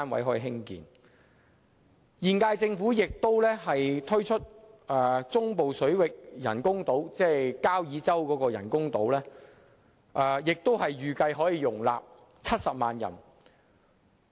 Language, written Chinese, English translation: Cantonese, 此外，現屆政府亦計劃在中部水域興建人工島，預計可以容納70萬人口。, Moreover the incumbent Government also plans to construct artificial islands in the central waters that is Kau Yi Chau which is expected to accommodate 700 000 people